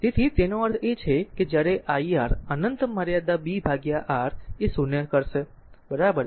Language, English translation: Gujarati, So, that means, when I R tends to infinity limit b by R will be 0, right